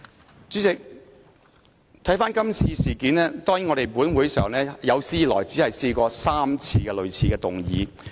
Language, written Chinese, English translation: Cantonese, 代理主席，看回今次事件，當然本會有史以來只提出過3次類似的議案。, Deputy President coming back to the incident this time around certainly a similar motion has been proposed thrice in this Council in its history